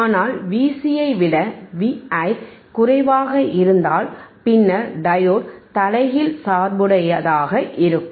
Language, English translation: Tamil, If V i is less then V c, then diode would be in previousreverse bias